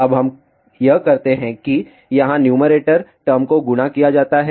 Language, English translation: Hindi, Now, all we do it is multiplied the numerator term over here